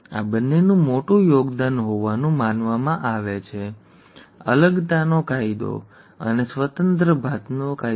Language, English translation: Gujarati, These two are supposed to be major contributions; the ‘law of segregation’ and the ‘law of independent assortment’